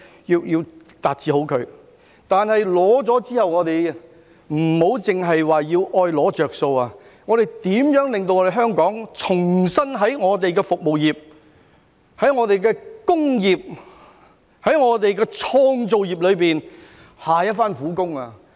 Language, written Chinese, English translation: Cantonese, 然而，在成功爭取之後，不要只懂"攞着數"，而是應該令香港在服務業、工業及創造業再下一番苦工。, However after getting the holidays do not just pocket gains but work harder for the services industrial and creative industries of Hong Kong